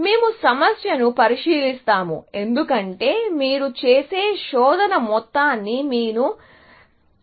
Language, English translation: Telugu, That is the way we will look at the problem, essentially, because you want to control the amount of search that you do